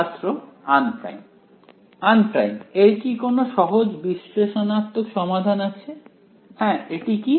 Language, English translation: Bengali, Unprimed does this have a simple analytical solution, yes what is that